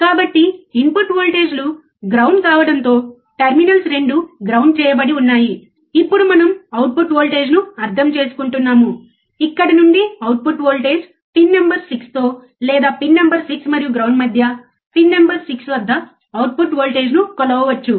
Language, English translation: Telugu, So, with the input voltages are ground both the terminals are grounded ok, now we are understanding output voltage, from where output voltage, we can measure the output voltage at pin number 6 with or between pin number 6 and ground